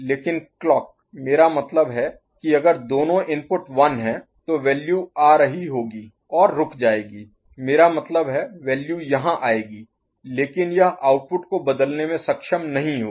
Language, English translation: Hindi, But the clock I mean if the both the inputs are 1 so, the value will be coming and resting I mean, value will be coming here, but it will not be able to change the output